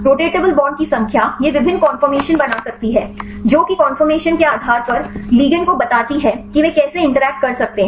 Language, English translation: Hindi, Numbers of rotatable bonds this can make various conformation, based on the conformation right the ligand how they can interact